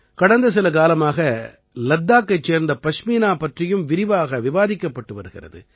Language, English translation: Tamil, Ladakhi Pashmina is also being discussed a lot for some time now